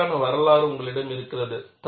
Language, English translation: Tamil, And you have a history for this